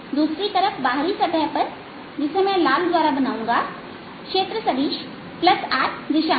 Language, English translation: Hindi, on the outer surface, on the other hand, which i'll make by red, the area vector is in the positive r direction